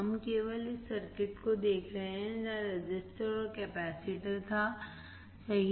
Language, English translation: Hindi, We are looking only on this circuit where resistor and capacitor was there correct